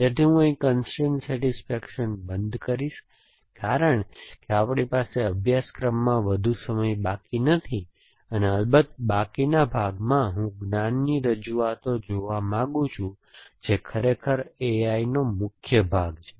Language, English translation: Gujarati, So, I will stop with constrain satisfaction here because we do not have too much time left in the course and in the remaining part of course I want to look at knowledge representations which is really a core of A I